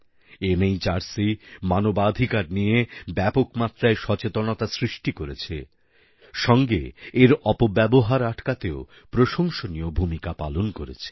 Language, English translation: Bengali, NHRC has instilled widespread awareness of human rights and has played an important role in preventing their misuse